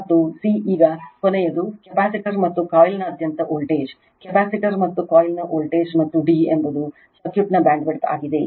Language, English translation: Kannada, And c, now the last one voltage across the capacitor and the coil, voltage of the capacitor and the coil, and d is the bandwidth of the circuit